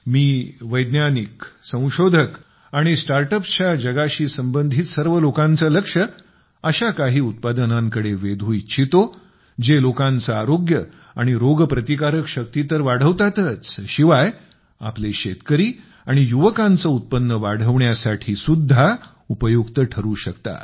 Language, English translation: Marathi, I urge scientists, researchers and people associated with the startup world to pay attention to such products, which not only increase the wellness and immunity of the people, but also help in increasing the income of our farmers and youth